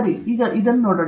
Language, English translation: Kannada, Okay let us look at this